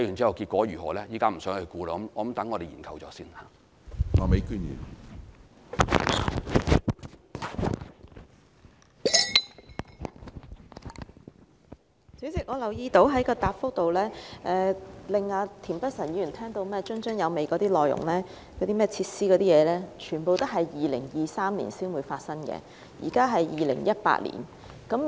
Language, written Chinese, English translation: Cantonese, 主席，我留意到局長的主體答覆令田北辰議員津津有味的內容和設施等，全都是在2023年才會發生的，而現在是2018年。, President I notice that the content and facilities in the Secretarys main reply which interested Mr Michael TIEN very much will only be realized by 2023 and it is now 2018